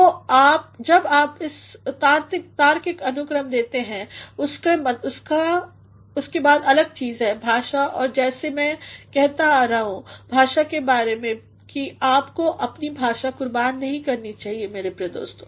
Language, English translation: Hindi, So, when you provide this logical ordering next the next thing is, language and as I have been saying about language that you should not sacrifice your language, my dear friends